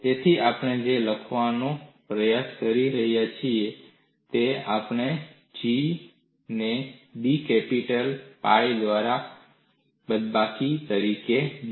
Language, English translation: Gujarati, So, what we are trying to write is, we write G 1 as minus of d capital pi divided by d A